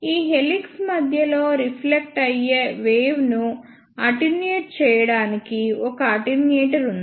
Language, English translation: Telugu, At the centre of this helix, there is a attenuator which is placed to attenuate the reflected waves